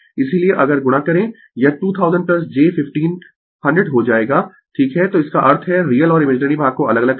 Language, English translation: Hindi, Therefore, if you multiply it will become 2 thousand plus j 15 100 right so; that means, separate real and imaginary part